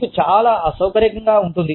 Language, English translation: Telugu, You feel, very uncomfortable